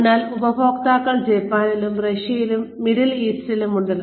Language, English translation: Malayalam, So, customers are in Japan and Russia and the Middle East